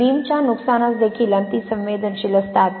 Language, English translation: Marathi, They are also very susceptible to beam damage